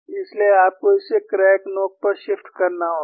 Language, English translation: Hindi, So, you have to shift it to the crack tip